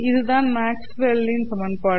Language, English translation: Tamil, So these are Maxwell's equations